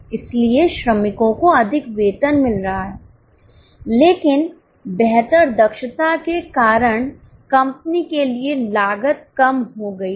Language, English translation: Hindi, So, workers are getting more pay but for the company the cost has gone down because of better efficiency